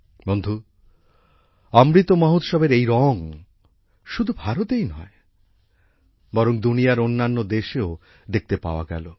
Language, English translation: Bengali, Friends, these colors of the Amrit Mahotsav were seen not only in India, but also in other countries of the world